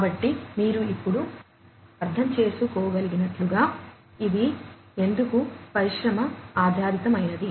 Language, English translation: Telugu, So, as you can now understand, why it is industry oriented